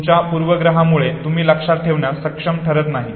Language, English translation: Marathi, Because of your bias you are not able to remember, okay